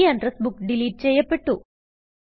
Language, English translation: Malayalam, The address book is deleted